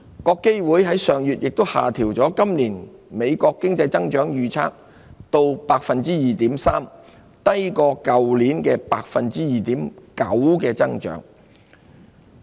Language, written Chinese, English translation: Cantonese, 國基會上月亦下調美國今年經濟增長預測至 2.3%， 低於去年的 2.9% 增長。, IMF last month also adjusted its outlook for growth in the United States this year to 2.3 % lower than last years pace of 2.9 %